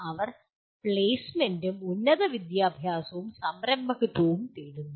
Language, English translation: Malayalam, They in turn seek the same placement, higher education and entrepreneurship